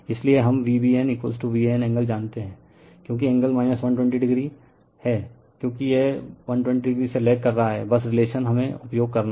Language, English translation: Hindi, So, we know V BN is equal to V AN angle because angle minus 120 degree because, it lags by 120 degree, just relationship we have to use